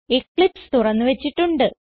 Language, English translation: Malayalam, I already have Eclipse opened